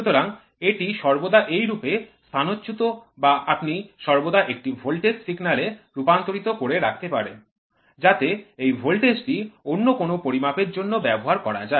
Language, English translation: Bengali, So, it is always like that displacement you always converted into a into a voltage signal, so that this voltage can be used for very other measurements